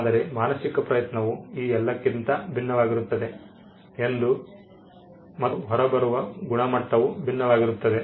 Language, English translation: Kannada, But the mental effort differs from all these is different and it differs, and the quality that comes out while also differ